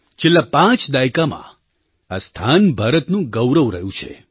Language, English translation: Gujarati, For the last five decades, it has earned a place of pride for India